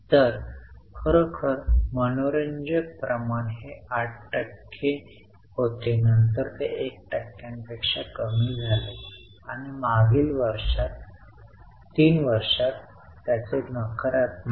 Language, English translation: Marathi, So, really interesting ratio it was 8%, then became less than 1% and it's negative in last 3 years